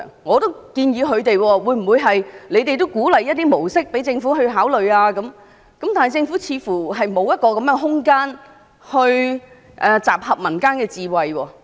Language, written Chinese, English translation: Cantonese, 我建議他們向政府提出一些模式，以便政府考慮，但政府似乎沒有這樣的空間來集合民間智慧。, I suggested that they should propose some models to the Government for consideration . Nonetheless it seems that the Government does not have room to gather folk wisdom